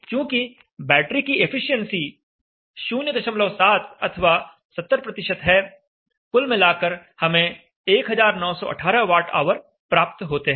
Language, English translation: Hindi, 7 or 70% battery efficiency and all this works out to be 1918 watt hours